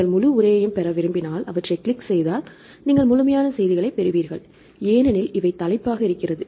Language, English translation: Tamil, For if you want to get the full text you click on the full text then you get the complete paper, because this is the title